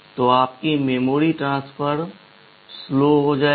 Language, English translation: Hindi, So, your memory transfer will become slower